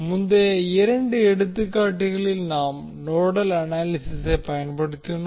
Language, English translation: Tamil, In the previous two examples, we used nodal analysis